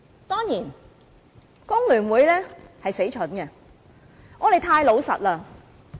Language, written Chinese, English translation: Cantonese, 當然，工聯會很蠢，我們太老實了。, Of course FTU was stupid for being too honest